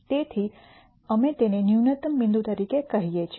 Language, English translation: Gujarati, So, we call this as a minimum point